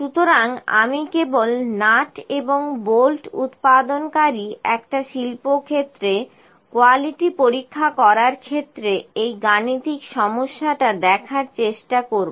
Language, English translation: Bengali, So, I will try to just see this numerical, during the quality checkup in an industry that produces nuts and bolts